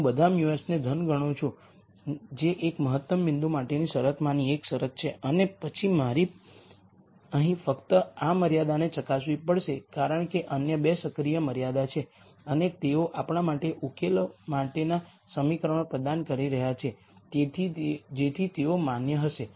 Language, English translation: Gujarati, I get all mus to be positive which is also one of the conditions for an optimum point and then I have to only verify this constraint here because other 2 are active constraints and they are providing equations for us to solve so they are like they are going to be valid